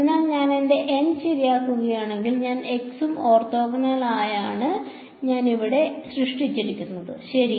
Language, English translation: Malayalam, So, if I fix my N I have created this p n x over here orthogonal to all x; x to the power k ok